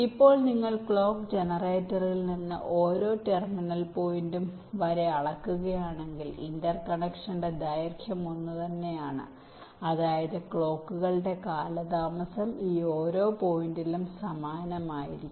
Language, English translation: Malayalam, now if you just measure, if you just see from the clock generated up to each of the terminal point, the length of the interconnection is the same, which means the delay of the clocks will be identical up to each of this points